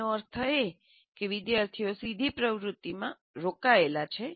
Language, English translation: Gujarati, That means students are part of that, they are directly engaged with the activity